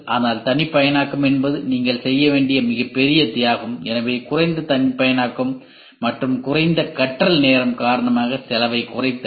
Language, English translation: Tamil, But the customization is the huge sacrifice you have to do ok; so, reduction in cost due to less customization and shorter learning time